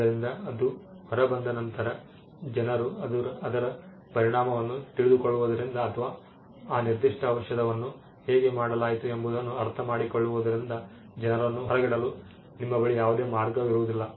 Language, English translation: Kannada, So, once it is out there is no way you can exclude people from taking effect of it or in understanding how that particular thing was done